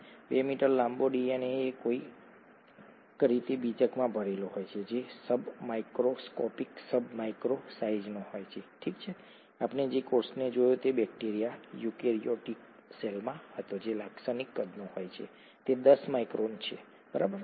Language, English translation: Gujarati, The 2 metres long DNA is somehow packed into the nucleus which is sub sub micron sized, okay, the cell itself we saw was the the in a eukaryotic cell that is a typical size is 10 micron, right